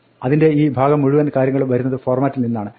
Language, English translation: Malayalam, This whole thing, this part of it comes from the format